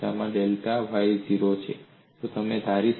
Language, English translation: Gujarati, In that case, delta y equal to 0